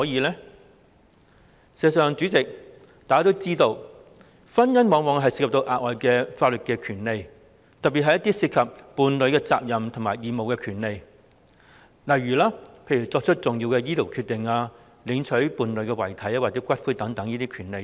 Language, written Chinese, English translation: Cantonese, 事實上，代理主席，大家都知道婚姻往往涉及額外的法律權利，特別是一些涉及伴侶責任及義務的權利，例如作出重要的醫療決定、領取伴侶遺體或骨灰的權利。, As a matter of fact Deputy President we all know that marriage often involves additional legal rights especially those concerning the responsibilities and obligations of couples such as the making of important medical decisions and the rights to claim the dead body or cremated ashes of a deceased partner